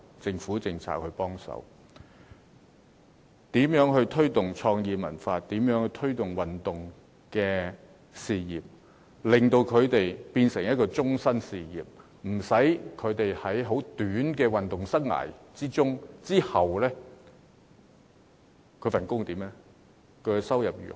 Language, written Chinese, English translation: Cantonese, 政府應考慮如何推動創意文化和體育運動，令它們變成一種終身事業，使年青人不用在短暫的運動或創作生涯後，擔心工作和收入如何。, The Government should consider how it should promote creative and cultural industries as well as sports . When these are turned into lifelong careers young people will be free from worries about finding a job and getting an income after a brief sporting career or creative life